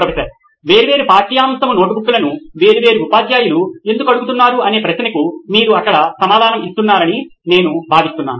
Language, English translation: Telugu, I think that there you are answering the question why are different subject notebooks being asked by different teachers